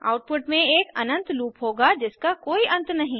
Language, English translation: Hindi, The output will consist of an infinite loop that never ends